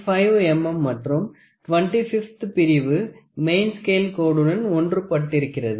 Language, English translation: Tamil, 5 millimeter and the 25th division coincides with the main scale line